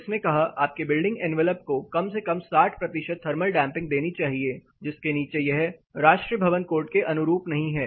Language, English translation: Hindi, It said minimum you are enveloped should give 60 percentage thermal damping, below which it says it is not compliant to the national building code